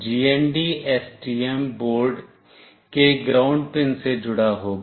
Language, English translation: Hindi, The GND will be connected to the ground pin of the STM board